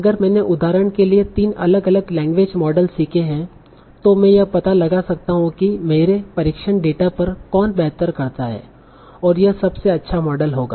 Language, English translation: Hindi, So if I have learned three different language models, for example, I can find out which one does better on my test data